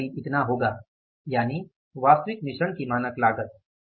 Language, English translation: Hindi, So, this is going to be something like this that is the standard cost of actual mix